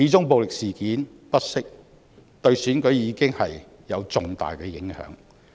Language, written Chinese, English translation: Cantonese, 暴力事件不息，始終對選舉有重大影響。, If violent incidents cannot be stopped the Election will be seriously affected